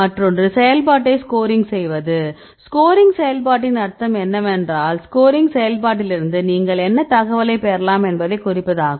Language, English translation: Tamil, Another one is scoring function right what is the meaning of scoring function what information you can get from scoring function